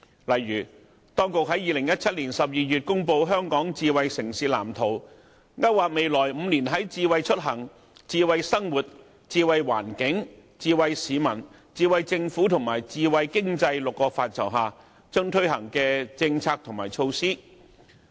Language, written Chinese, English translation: Cantonese, 例如，當局在2017年12月公布香港智慧城市藍圖，勾劃未來5年在"智慧出行"、"智慧生活"、"智慧環境"、"智慧市民"、"智慧政府"及"智慧經濟 "6 個範疇推出的政策和措施。, For instance the Smart City Blueprint for Hong Kong was unveiled in December 2017 to outline policies and initiatives in six areas namely Smart Mobility Smart Living Smart Environment Smart People Smart Government and Smart Economy which will be launched in the next five years